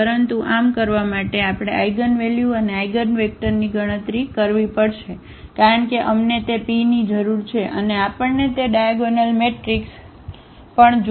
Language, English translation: Gujarati, So, but to do so, we have to compute the eigenvalues and also the eigenvectors, because we need that P and we also need that diagonal matrix